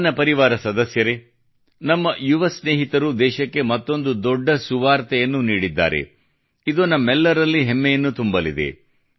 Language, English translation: Kannada, My family members, our young friends have given another significant good news to the country, which is going to swell all of us with pride